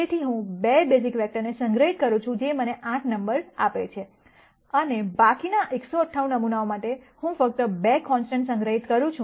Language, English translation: Gujarati, So, I store 2 basis vectors which gives me 8 numbers and then for the remaining 198 samples, I simply store 2 constants